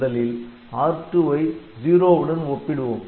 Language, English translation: Tamil, Then, we first we compare R2 with 0